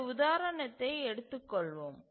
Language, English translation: Tamil, Let's take this instance